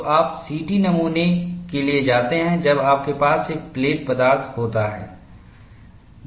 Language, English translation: Hindi, So, you go for CT specimen, when you have a plate stock